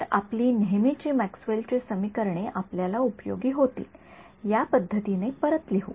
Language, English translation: Marathi, So, our usual Maxwell’s equations let us just rewrite them in a way that is useful